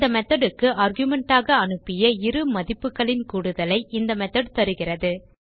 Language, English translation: Tamil, So this method will give us the sum of two values that are passed as argument to this methods